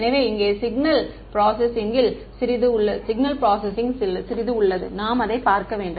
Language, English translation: Tamil, So, here is where there is a little bit of signal processing that we need to look at ok